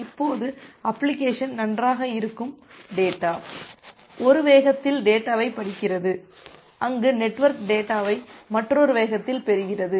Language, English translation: Tamil, Now it may happen that well application is reading the data, data at one speed where as the network, it is receiving the data at another speed